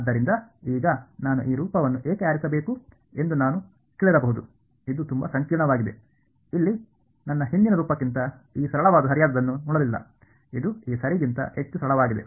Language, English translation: Kannada, So, now, you might I have asked that why should I have chose this form this looks so much more complicated, than my previous form over here did not look this much simpler right this look much simpler than this ok